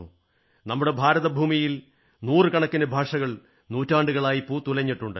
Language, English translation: Malayalam, Hundreds of languages have blossomed and flourished in our country for centuries